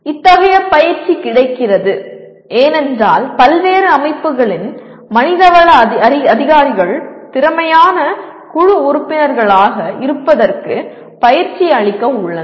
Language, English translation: Tamil, Such coaching is available because the HR people of various organizations are equipped for coaching people to be effective team members